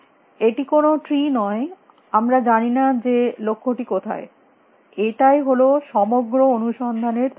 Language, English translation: Bengali, It is not a tree it is not a tree it is we do not know where the goal is that is a whole idea about the searching